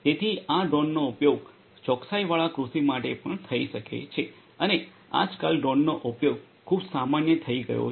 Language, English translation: Gujarati, So, these drones can also be used for precision agriculture and nowadays use of drones has become very common